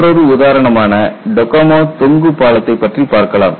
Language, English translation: Tamil, And if you look at another example, you have the Tacoma Bridge which was a suspension bridge